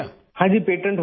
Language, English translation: Urdu, It has been patented